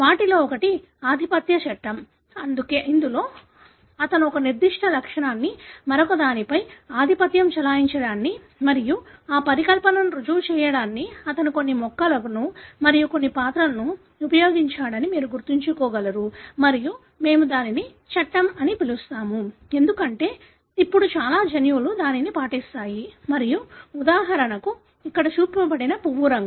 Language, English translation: Telugu, One of them of course is the law of dominance, wherein he suggests that one particular trait is dominant over the other and if you could remember that he has used certain plants and certain characters for proving that hypothesis and we call it as a law, because now majority of the genes obey that and for example what is shown here is the flower colour